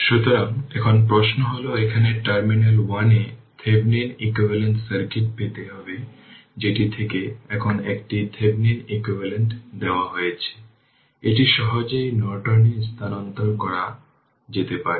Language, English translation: Bengali, So, now question is that here you have to obtain the Thevenin equivalent circuit in terminals 1 2 of the now it is a Thevenin equivalent is given from that you can easily transfer it to Norton